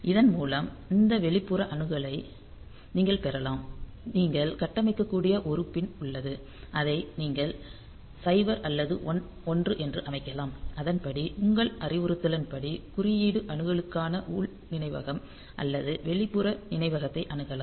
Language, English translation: Tamil, So, that way you can have this a so this external access there is a pin that you can configure and you can set it to 0 or 1 accordingly you are the instruction will access internal memory or external memory for code access